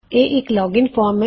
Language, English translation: Punjabi, It is a login form